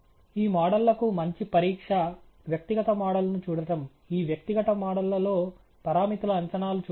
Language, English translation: Telugu, A good test for these models, of course, is to look at the individual model the parameters estimates in these individual models